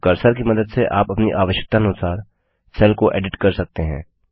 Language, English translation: Hindi, Now by navigating the cursor, you can edit the cell as per your requirement